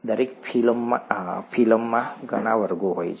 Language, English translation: Gujarati, Each phylum has many classes